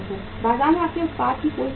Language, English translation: Hindi, There is no shortage of your product in the market